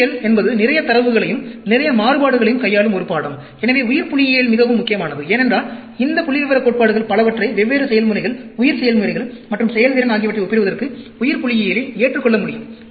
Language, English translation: Tamil, Biology is a subject which also handles lot of data, lot of variations; so, biostatistics became very important, because, many of these statistical principles could be adopted into biostatistics for comparing different processes, bio processes and performance